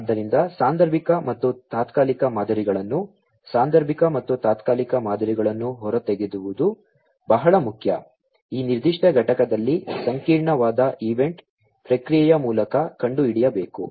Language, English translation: Kannada, So, it is very important to extract the causal and temporal patterns causal and temporal patterns, will have to be you know will have to be found out, through complex event processing in this particular component